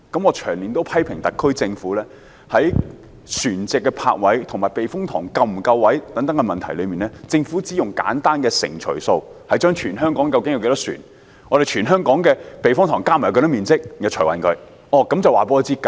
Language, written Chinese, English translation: Cantonese, 我長年批評特區政府，在船隻泊位及避風塘泊位是否足夠等問題上，只用簡單的算術作計算，即將全港船隻的總數除以全港避風塘的總面積，得出一個平均數後便說足夠。, I have long criticized the SAR Government for the way it assesses whether there are sufficient berthing spaces and typhoon shelters . Its conclusion that the spaces are sufficient is merely based on the average calculated by simple arithmetic that is dividing the total area of typhoon shelters in Hong Kong by the total number of vessels in Hong Kong